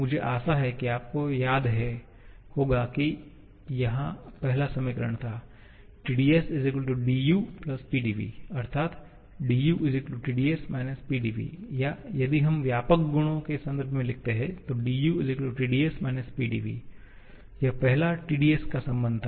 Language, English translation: Hindi, I hope you remember the first equation was Tds=du+Pdv that is du=Tds Pdv or if we write in terms of extensive properties dU=Tds PdV